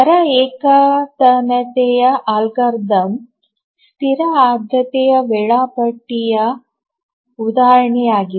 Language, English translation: Kannada, The rate monotonic algorithm is an example of a static priority scheduler